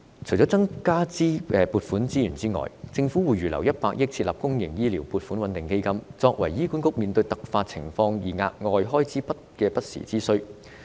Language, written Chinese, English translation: Cantonese, 除了增加撥款外，政府會預留100億元設立公營醫療撥款穩定基金，以備醫管局面對突發情況需要額外開支的不時之需。, Apart from increasing funding 10 billion is earmarked for establishing the public health care stabilization fund to prepare for any additional expenditure which might be incurred by HA in case of unexpected circumstance